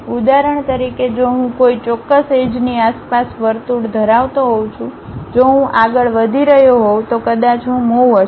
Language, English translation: Gujarati, For example, if I am having a circle around certain axis if I am moving maybe I might be going to get a chew